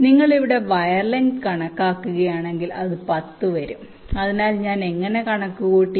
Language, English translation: Malayalam, so if you just calculate the wire length here, so it comes to ten